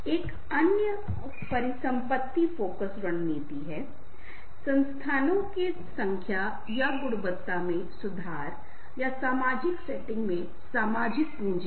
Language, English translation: Hindi, another is asset focus strategy, improving the number or quality of resources or the social capital in the social setting